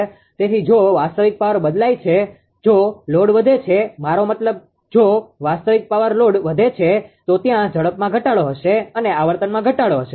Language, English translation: Gujarati, So, if real power changes, if you load increases I mean real power load increases, there will be a decrease in the speed that is decrease in frequency